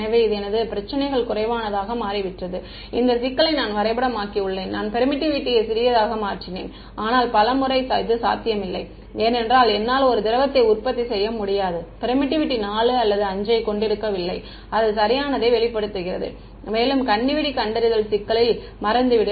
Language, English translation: Tamil, So, my problem has become lesser I have mapped it sort of this problem I made the permittivity smaller ok, but many times this is not going to be possible because I cannot produce at will a liquid which has permittivity 4 or 5 hardly it reveal right, moreover in the landmine detection problem, forget it